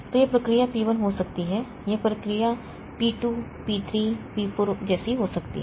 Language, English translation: Hindi, So, this may be process P1, this may be process P2, P3, P4 like that